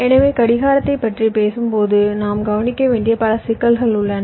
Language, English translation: Tamil, so when we talk about clock, there are a number of issues that we need to consider, of course